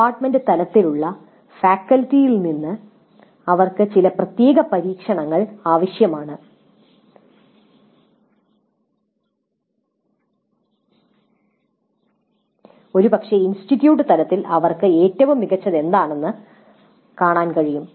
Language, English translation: Malayalam, It does require certain amount of experimentation from the faculty at the department level, probably at the institute level also to see what works best for them